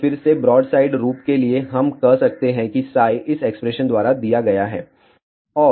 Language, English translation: Hindi, So, again for broadside, we can say psi is given by this expression